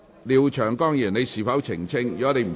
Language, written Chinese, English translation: Cantonese, 廖長江議員，你是否想澄清？, Mr Martin LIAO do you wish to clarify?